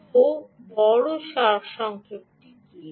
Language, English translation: Bengali, so what is the big summary